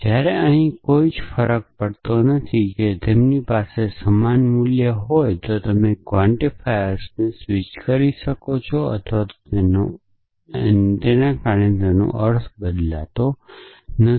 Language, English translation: Gujarati, Whereas, here there is no difference if they have the same kind then you can switch the quantifiers and it does not change the meaning